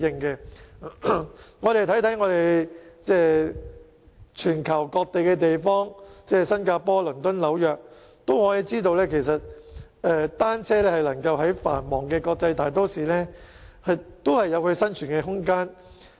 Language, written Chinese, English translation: Cantonese, 大家只要看看全球各地，例如新加坡、倫敦和紐約，便會發現單車在該等繁忙的國際大都會裏亦有生存空間。, If Members look at various places of the world such as Singapore London and New York they will notice how bicycles are given room of survival even in those bustling metropolises